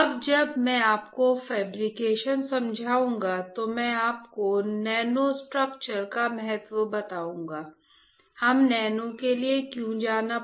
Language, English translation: Hindi, Now when I will explain you the fabrication I will tell you that if the importance of nano structured right